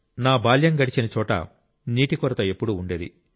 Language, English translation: Telugu, The place where I spent my childhood, there was always shortage of water